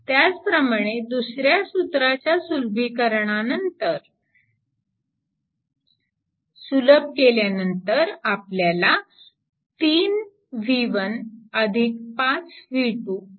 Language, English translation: Marathi, So, then upon simplification we got that your minus 3 v 1 plus 5 v 2 is equal to 60